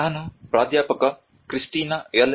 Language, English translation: Kannada, Where I was working with professor Kristina L